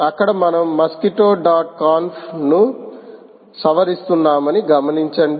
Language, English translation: Telugu, again, note that we are modifying mosquitto dot conf